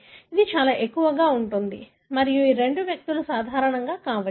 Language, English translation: Telugu, It is very, very high frequent and these 2 individuals may be normal